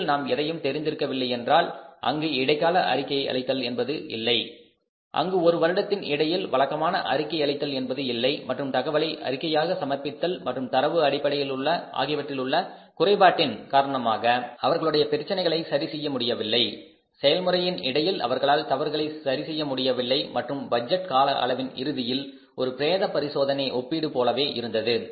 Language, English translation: Tamil, We were not knowing in between because there is no internal reporting, there was no regular reporting in between and because of the lack of the information reporting and the data, firms were not able to correct their problems, their mistakes during the process and only it was a post mortem comparison at the end of the budget budget period of the budgeting horizon